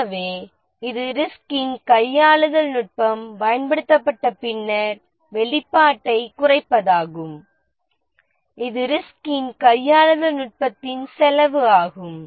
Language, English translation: Tamil, So this is the reduction in exposure after the risk handling technique is deployed and this is the cost of the risk handling technique